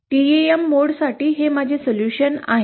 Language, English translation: Marathi, For the TEM mode, these are my solutions